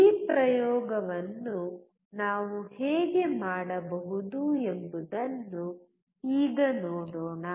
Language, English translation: Kannada, Let us now see how we can perform this experiment